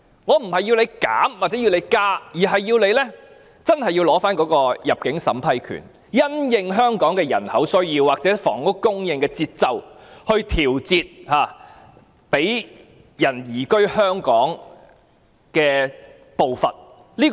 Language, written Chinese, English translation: Cantonese, 我並非要求政府減少或增加限額，而是要求政府切實收回入境審批權，因應香港的人口需要或房屋供應的節奏來調節容許移民移居香港的步伐。, I am not asking the Government to reduce or increase this quota . I am asking the Government to practically take back the power to vet and approve entry for immigration of One - way Permit holders in order that the progress of approving applications for settlement in Hong Kong can be adjusted in the light of the population needs or the pace of housing supply in Hong Kong